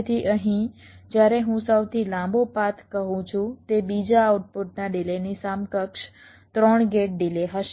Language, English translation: Gujarati, so here when i say the longest path, it will be the delay of the second output, equivalent three gates delays